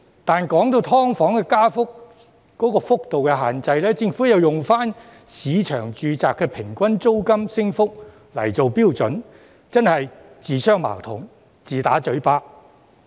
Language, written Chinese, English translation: Cantonese, 但是，說到"劏房"的加幅幅度限制，政府又用市場住宅的平均租金升幅來做標準，真是自相矛盾，自打嘴巴。, However when it comes to the cap on the rate of rent increase of SDUs the Government uses the average rental increase of residential units in the market as the standard which is really self - contradicting